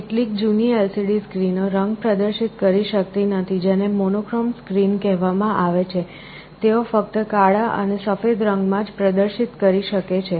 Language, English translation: Gujarati, Some of the older kind of LCD screens cannot display color; those are called monochrome screens, they can display only in black and white